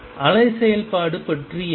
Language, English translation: Tamil, What about the wave function